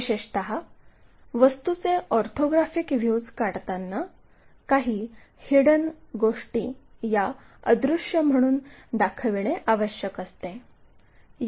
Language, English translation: Marathi, Especially, when drawing the orthographic views of an object, it will be required to show some of the hidden details as invisible